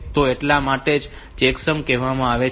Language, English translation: Gujarati, So, that is why it is called checksum type of things